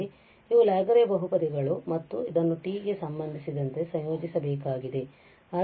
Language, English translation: Kannada, Here these are the Laguerre polynomial and we have to integrate this with respect to t